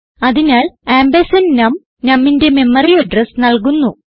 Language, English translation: Malayalam, So ampersand num will give the memory address of num